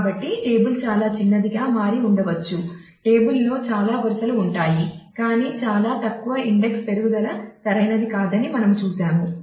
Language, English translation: Telugu, So, table might have become too small there will be many rows in the table, but very few index increase right we have seen these are not the ideal